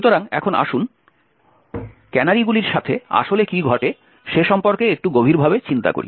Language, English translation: Bengali, So, now let us dwell a little more deeper into what actually happens with canaries